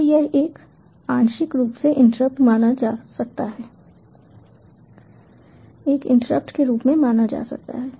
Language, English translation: Hindi, so this may be considered as a partially considered as an interrupt